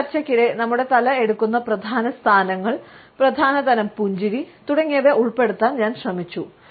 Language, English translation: Malayalam, During my discussion, I have tried to incorporate the major positions, which our head takes, the major types of smiles, etcetera